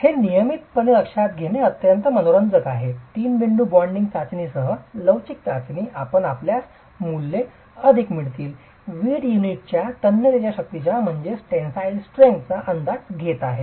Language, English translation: Marathi, It is quite interesting to observe that consistently with the flexure test, with the three point bending test, you will get values higher if you are estimating the tensile strength of the brick unit